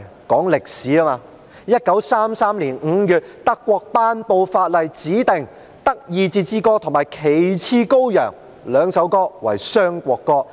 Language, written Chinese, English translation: Cantonese, 當然有 ，1933 年5月，德國頒布法例指定"德意志之歌"及"旗幟高揚"兩首歌為雙國歌。, In May 1933 a law was promulgated in Germany specifying that both Die Fahne Hoch and Deutschlandlied were the national anthems